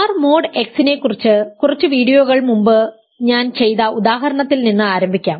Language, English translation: Malayalam, Let me start with the example that I did a few videos ago about R mod x